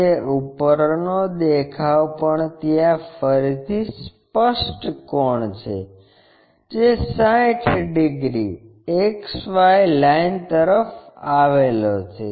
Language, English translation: Gujarati, It is top view is again apparent angle 60 degrees inclined to XY line